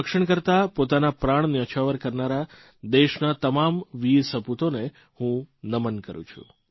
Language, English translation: Gujarati, I respectfully bow to all the brave sons of the country, who laid down their lives, protecting the honour of their motherland, India